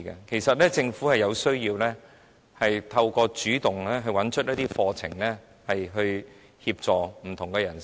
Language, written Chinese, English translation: Cantonese, 其實，政府有需要主動找出適合的課程，以協助不同的人士。, As a matter of fact the Government should identify of its own accord appropriate courses to help different people